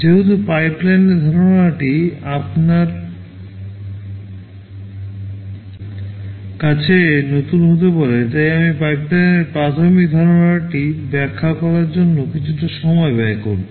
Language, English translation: Bengali, Because the concept of pipelining may be new to some of you, I shall be devoting some time in explaining the basic concept of pipeline